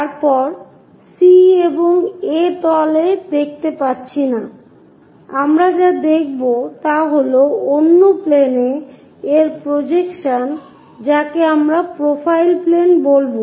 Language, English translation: Bengali, Then, we cannot see C and A surfaces, what we will see is projection of this on to another plane what we will call profile plane